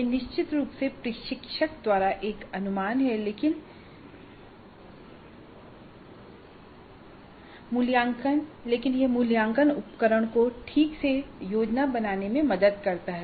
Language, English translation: Hindi, This is definitely an estimate by the instructor but it does help in planning the assessment instrument properly